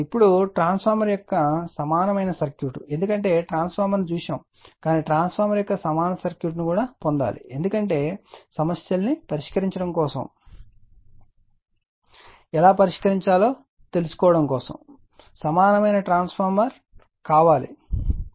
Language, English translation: Telugu, Now, equivalent circuit of a transformer because we have seen transformer, but we have to obtain the equivalent circuit of transformer because you have to solve problem how to solve the problem for an equivalent transformer or a equivalent transformer